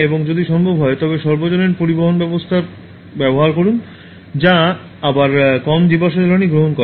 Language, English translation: Bengali, And if possible, use public transport that again consumes less fossil fuel